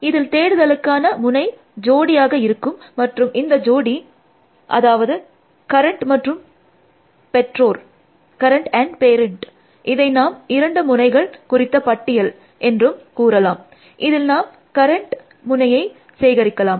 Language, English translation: Tamil, So, search node is the pair, we will call it a node pair, and the pair is current and parent, and let say it is a list of two nodes, in which we store the current node